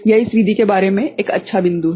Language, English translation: Hindi, This is a good point about this method ok